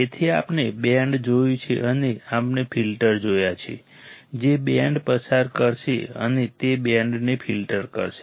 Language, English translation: Gujarati, So, we have seen band and we have seen the filters that will pass a band and it will filter out band